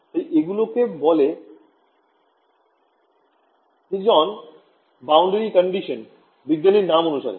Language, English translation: Bengali, So, these are called Higdon boundary conditions named after the scientist who ok